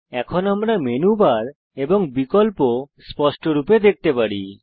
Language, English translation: Bengali, * Now, we can view the Menu bar and the options clearly